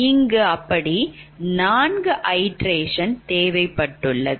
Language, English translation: Tamil, this one takes more number of iteration